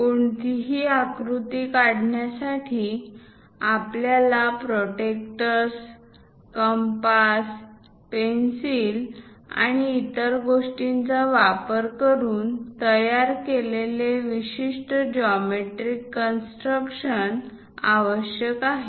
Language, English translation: Marathi, To draw any figure, we require typical geometrical construction using protractors compass pencil and so on things